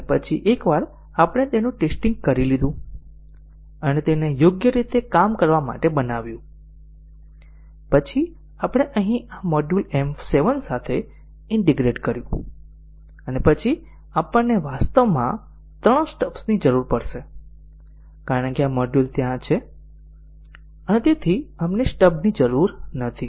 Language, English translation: Gujarati, And then once we have tested it, and made it to work correctly, then we integrate with M 7 here this module here, and then we would need actually three stubs because this module is there, and therefore, we do not need a stub for this we need a stub for only this one, this one and this one